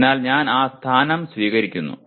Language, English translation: Malayalam, So I take that position